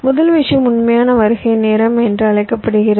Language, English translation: Tamil, first thing is called the actual arrival time